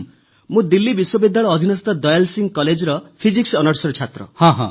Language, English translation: Odia, I am doing Physics Honours from Dayal Singh College, Delhi University